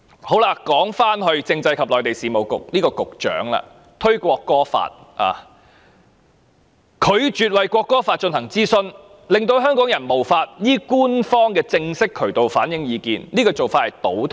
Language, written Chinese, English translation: Cantonese, 談回政制及內地事務局局長，他推出《國歌條例草案》，並拒絕就其進行諮詢，令香港人無法依官方的正式渠道反映意見，這做法是倒退的。, Let us pick up on SCMA who introduced the National Anthem Bill and refused to conduct any consultation on it thus depriving Hong Kong people of an official channel to express their views which is a step backwards